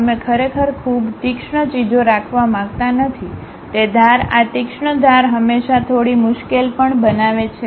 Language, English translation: Gujarati, Edges we do not want to really have very sharp things, making these sharp edges always be bit difficult also